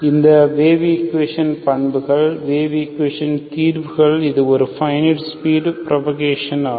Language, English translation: Tamil, So characteristics of this wave equation, solutions of wave equations are it has a finite speed of propagation